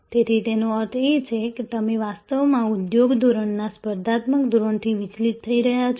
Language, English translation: Gujarati, So; that means, you are actually deviating from the competitive standard of the industry standard